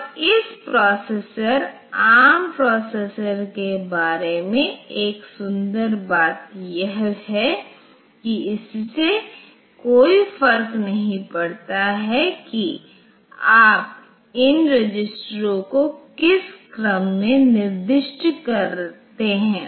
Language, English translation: Hindi, And one beautiful thing about this processor ARM processor is that it does not matter in which order you specify these registers